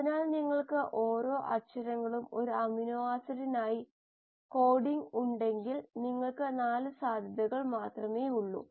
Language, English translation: Malayalam, So if you have each alphabet coding for one amino acid you have only 4 possibilities